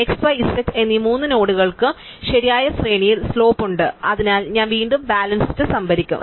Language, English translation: Malayalam, So, both all three nodes x, y and z have slopes in the correct range and therefore, I again I will stored the balance